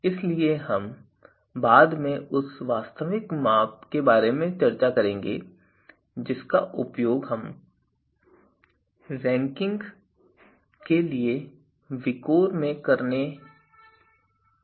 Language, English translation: Hindi, So, the actual measure that we are going to use in VIKOR for ranking is we will discuss later